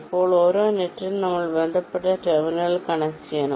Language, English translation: Malayalam, now, for every net, we have to connect the corresponding terminal